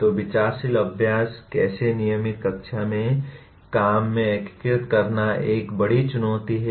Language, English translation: Hindi, So thoughtful practice how to integrate into the regular classroom work is a major challenge